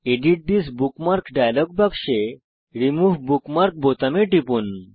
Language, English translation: Bengali, From the Edit This Bookmark dialog box, click the Remove Bookmark button